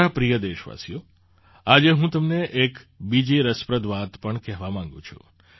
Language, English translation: Gujarati, My dear countrymen, today I want to tell you one more interesting thing